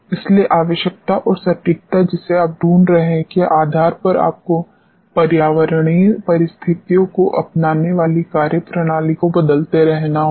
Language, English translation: Hindi, So, depending upon the requirement and the precision which you are looking for, you have to keep on changing the methodology adopting the environmental conditions and so on